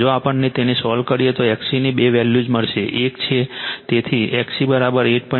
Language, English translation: Gujarati, If we solve it, right you will get two values of X C one is so X C is equal to 8